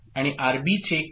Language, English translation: Marathi, And what is RB